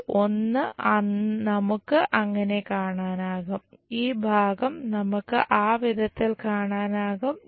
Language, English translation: Malayalam, And this one we will see it like that, and this part that we will see it in that way